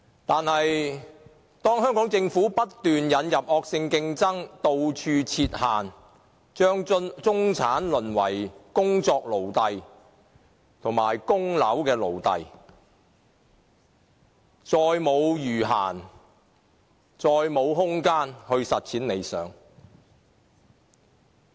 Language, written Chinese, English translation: Cantonese, 可是，香港政府不斷引入惡性競爭，到處設限，把中產淪為工作奴隸及供樓奴隸，他們再沒有餘閒和空間實踐理想。, However the Hong Kong Government keeps on introducing vicious competition and setting barricades in various aspects . As a result people in the middle class have become slaves of work and property mortgage who do not have any spare time and space to turn their dreams into reality